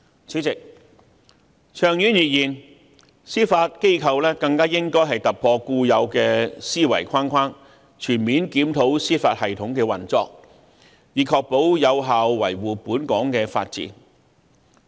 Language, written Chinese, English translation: Cantonese, 主席，長遠而言，司法機構更應突破固有的思維框框，全面檢討司法系統的運作，以確保有效維護本港的法治。, President in the long run the Judiciary should even think out of the box and comprehensively review the operation of the judicial system so as to ensure that the rule of law in Hong Kong can be upheld effectively